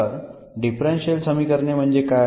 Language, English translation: Marathi, So, what is the differential equations